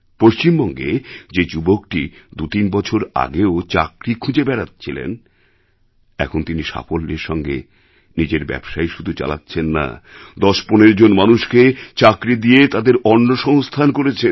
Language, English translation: Bengali, At the same time a young man from West Bengal desperately seeking a job two to three years ago is now a successful entrepreneur ; And not only this he is providing employment to ten to fifteen people